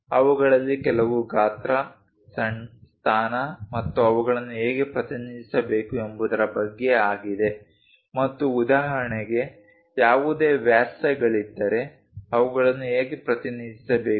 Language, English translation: Kannada, Some of them about size, position, how to represent them and for example, if there are any diameters how to represent them